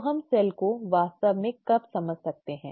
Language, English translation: Hindi, So when can we understand the cell really